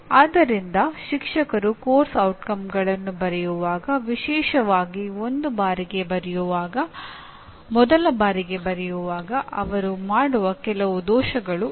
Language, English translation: Kannada, So these are some of the errors that a teacher when especially for the first time writing outcomes for a course are likely to commit